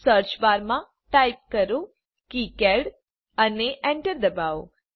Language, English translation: Gujarati, In the search bar type KiCad, and press Enter